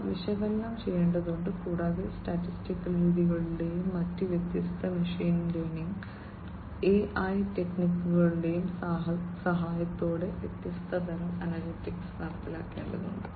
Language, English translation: Malayalam, Those will have to be analyzed, and different kinds of analytics will have to be executed with the help of statistical methods and different other machine learning and AI techniques